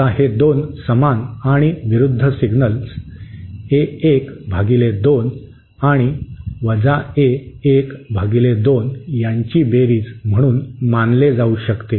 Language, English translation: Marathi, Now this can be considered as a summation of 2 equal and opposite signals A1 upon 2 and A1 upon 2